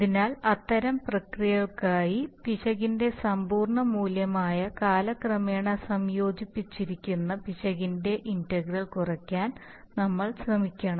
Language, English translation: Malayalam, So for such a process we should rather try to ensure that the integral of the error that is absolute value of the error, integrated over time should be minimized, right